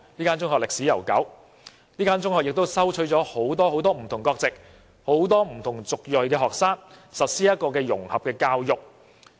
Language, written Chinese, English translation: Cantonese, 該中學歷史悠久，亦收取了很多不同國籍及族裔的學生，實施融合教育。, Having a long history the school practices integration education and accepts many EM students as well as students from foreign countries